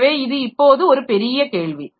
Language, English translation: Tamil, So, that is now a big question